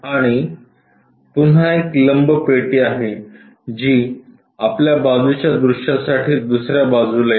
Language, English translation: Marathi, And again there is a perpendicular box which comes on the other side for your side view